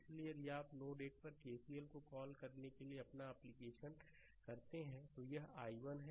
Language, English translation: Hindi, So, if you if you apply your what to call ah KCL at node 1, then it is i 1